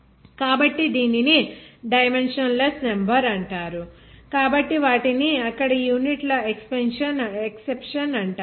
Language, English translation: Telugu, So this is called dimensionless number so these are called the exception of units there